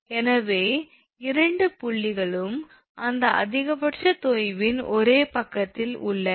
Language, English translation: Tamil, So, both points are on the same side of that maximum sag